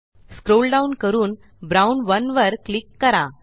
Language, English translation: Marathi, Scroll down and click on Brown 1